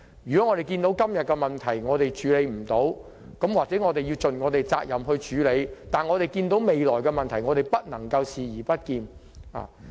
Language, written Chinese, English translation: Cantonese, 看到今天有問題而處理不到，便要盡責地設法處理，而對於未來的問題則不能視而不見。, If we see any problems that are hitherto unresolved we should seek to tackle them responsibly . And we must not turn a blind eye to any future problems that we can foresee